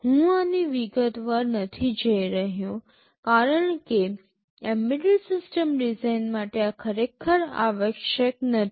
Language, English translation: Gujarati, I am not going into detail of this because for an embedded system design, these are not really required